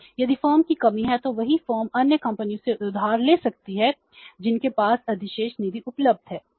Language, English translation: Hindi, If there is a shortage of the firm then the same form may borrow it from the other firms who have the surplus funds available with them